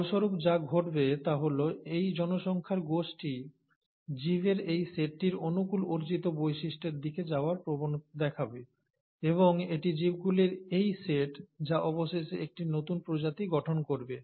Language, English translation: Bengali, As a result, what’ll happen in due course of time is that, this set of population will tend to move towards the favourable acquired characteristics of this set of organisms and it is this set of organisms which then eventually will form a new species